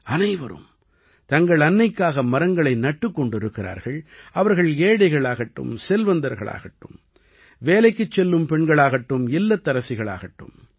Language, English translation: Tamil, Everyone is planting trees for one’s mother – whether one is rich or poor, whether one is a working woman or a homemaker